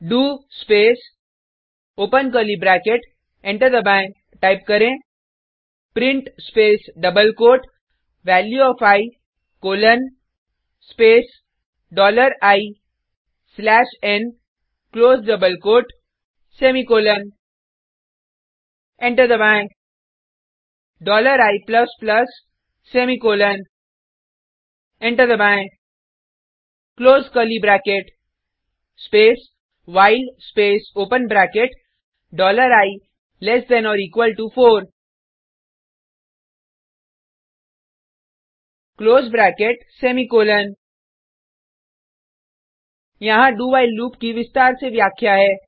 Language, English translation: Hindi, Type the following piece of code hash exclamation mark slash u s r slash bin slash perl Press Enter dollar i equals to zero semicolon press enter do space open curly bracket enter type print space double quote Value of i colon space dollar i slash n close double quote semicolon Press Enter dollar i plus plus semicolon press enter close curly bracket space while space open bracket dollar i less than or equal to four close bracket semicolon Here is the detail explanation of a do while loop